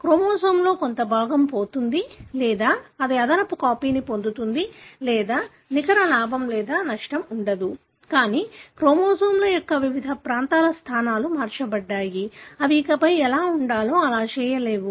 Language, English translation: Telugu, A part of the chromosome is lost or it gains an extra copy or there is no net gain or loss, but the position of different region of the chromosomes are altered such a way that they no longer are able to function the way it should be